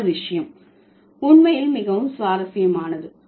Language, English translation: Tamil, And there is a, the next point is very interesting actually